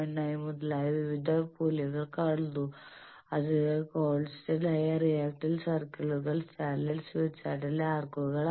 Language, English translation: Malayalam, 9, etcetera, so constant reactance circles are arcs in standard smith chart